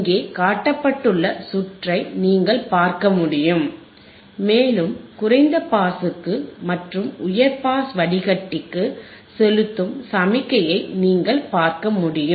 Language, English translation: Tamil, You can see the circuit which is shown here, circuit which is shown here right and the signal that we are applying is to the low pass and high pass filter you can see here correct